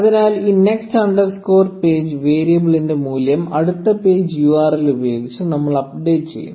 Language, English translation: Malayalam, So, we update the value of this next underscore page variable with the next page URL